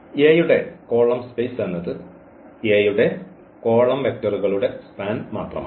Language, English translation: Malayalam, So, column space is a vector space that is nothing but the span of the columns of A